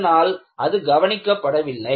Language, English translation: Tamil, So, it was not noticed